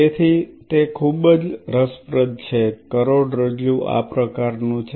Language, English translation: Gujarati, So, it is very interesting the spinal cord is kind of like this